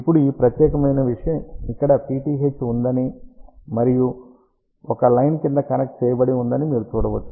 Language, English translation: Telugu, Now, this particular thing you can see that there is a vth that made over here and a line is connected underneath